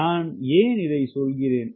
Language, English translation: Tamil, what is that why i am saying this